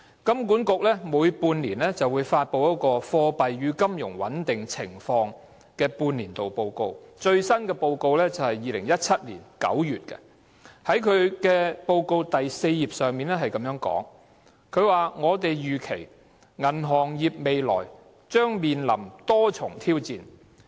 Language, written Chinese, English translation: Cantonese, 金管局每半年發布一份《貨幣與金融穩定情況半年度報告》，最新的一份報告在2017年9月發表。報告的第4頁指出，"我們預期銀行業未來將面臨多重挑戰。, Released semi - annually by HKMA The Half - Yearly Monetary and Financial Stability Report published its latest issue in September 2017 pointing out in page four that the banking sector is expected to face various challenges ahead